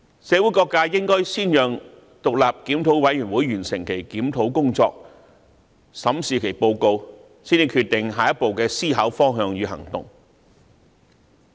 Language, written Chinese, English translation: Cantonese, 社會各界應先讓獨立檢討委員會完成其檢討工作，審視其報告，才決定下一步的思考方向與行動。, All sectors of society should first allow the independent review committee to complete its review . They can then study the report and decide on the future direction of thought and action